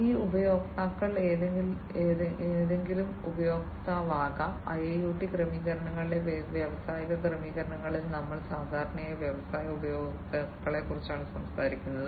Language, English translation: Malayalam, And these users could be any user and in the industrial settings in the IIoT settings we are talk talking about industry users typically